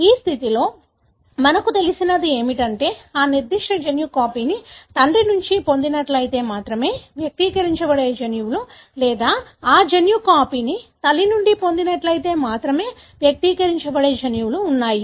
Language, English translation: Telugu, In this condition, what we know is there are genes which are expressed only if that particular gene copy is derived from father or there are genes that are expressed only if that gene copy is derived from mother